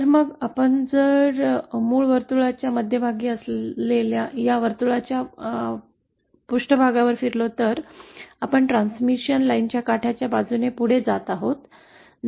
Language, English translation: Marathi, So then if we move along the surface of the along the edge of this circle which has the center at origin then we are moving along a transmission line